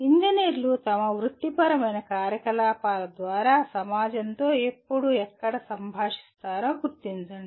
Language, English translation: Telugu, Identify when and where engineers interact with society through their professional activities